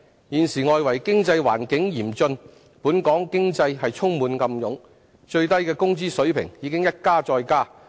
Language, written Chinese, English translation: Cantonese, 現時外圍經濟環境嚴峻，本港經濟充滿暗湧，最低工資水平已一加再加。, At present due to an austere external economic environment the local economy is full of uncertainties . The minimum wage level has been raised repeatedly